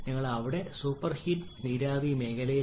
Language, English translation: Malayalam, you are in there super heated vapor zone